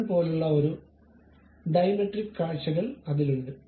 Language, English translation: Malayalam, There is one more button like Dimetric views